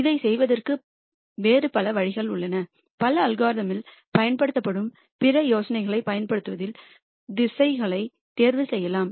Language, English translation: Tamil, There are many other ways of doing this you can choose directions in using other ideas that many other algorithms use